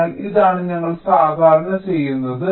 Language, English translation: Malayalam, ok, this is what is normally done